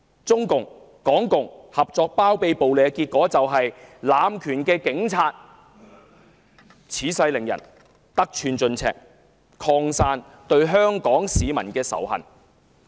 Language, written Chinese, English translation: Cantonese, 中共、港共聯手包庇暴力，結果令濫權的警察恃勢凌人，得寸進尺，警隊內仇恨香港市民的心態更趨普遍。, With the Communist Party of China and its proxies in Hong Kong acting in concert to sanction violence the Police have become overbearing and increasingly blatant in their abuse of power . Animosity against the Hong Kong public has also become more common within the Police Force